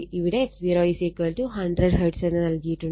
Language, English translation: Malayalam, So, f 0 is given 100 hertz